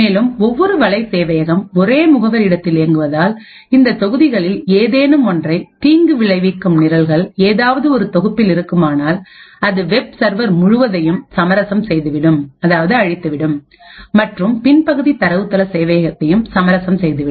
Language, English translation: Tamil, Further, note that since each web server runs in a single address space, single vulnerability in any of these modules could compromise the entire web server and could possibly compromise the entire data base server as well